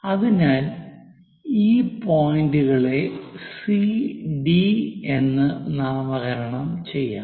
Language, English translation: Malayalam, So, let us name this point C and D